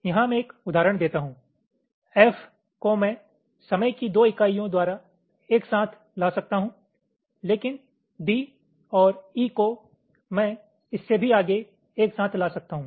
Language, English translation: Hindi, let say, here i am give an example: f i can bring together by two units of time, but d and e i can bring together further, more than that